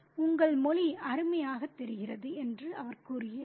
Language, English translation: Tamil, He says, your language sounds wonderful